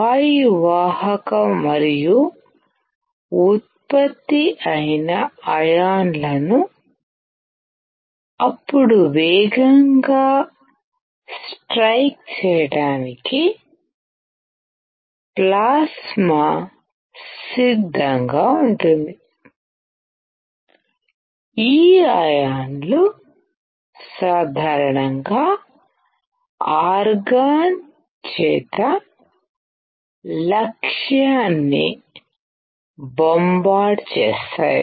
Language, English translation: Telugu, That the plasma is ready to make the gas conductive and generated ions can then be accelerated to the strike; the target is bombarded by these ions usually argon